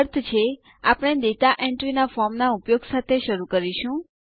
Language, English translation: Gujarati, Meaning we will start using the form for data entry